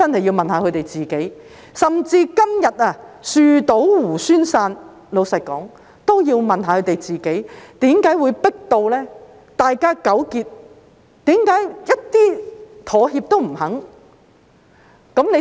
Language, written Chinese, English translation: Cantonese, 老實說，即使今天樹倒猢猻散，他們應該問一問自己，為甚麼會迫到大家如斯糾結，沒有一點妥協的餘地。, Frankly speaking even though they are like monkeys scurrying away from a falling tree they should ask themselves why they have got everyone so tangled up leaving no room for compromise